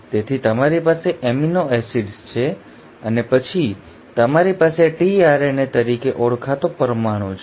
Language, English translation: Gujarati, So you have amino acids and then you have a molecule called as the tRNA